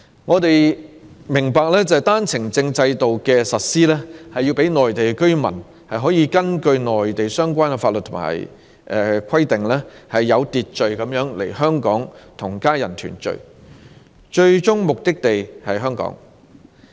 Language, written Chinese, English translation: Cantonese, 我們明白單程證制度的實施，是讓內地居民可根據內地相關法律和規定，有秩序地來港與家人團聚，其最終目的地是香港。, We all understand that the OWP system has been implemented for Mainland residents to enter Hong Kong in an orderly manner for family reunion through approval by the Mainland authorities in accordance with the laws and regulations of the Mainland and Hong Kong is their final destination for settlement